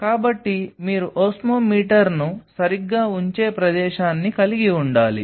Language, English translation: Telugu, So, you have to have a spot where you will be putting the osmometer ok